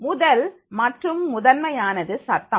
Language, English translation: Tamil, First and foremost is the noise